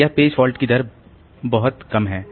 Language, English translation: Hindi, So, that's a very low rate of page fault